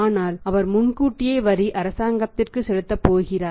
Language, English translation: Tamil, He is being asked to pay the tax in advance